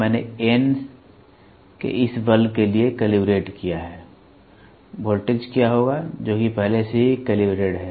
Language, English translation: Hindi, I have calibrated for this for this force of N, what will be the voltage I have calibrated already